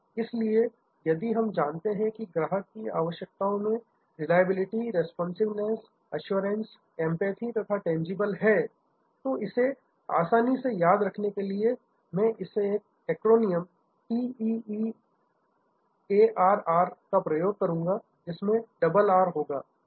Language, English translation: Hindi, So, if we want know that these are the customers requirement that reliability, responsiveness, assurance, empathy and tangibles to remember it easily, I use this acronym TEARR with double R